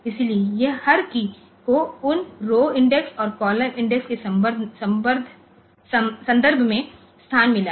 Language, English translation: Hindi, So, every key it has got a location in terms of those row index and column index